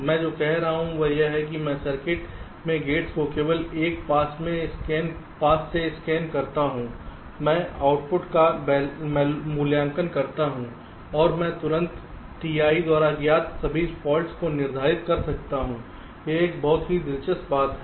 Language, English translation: Hindi, what i am saying is that i scan the gates in the circuit just one pass, i evaluate the output and i can immediately determine all faults detected by t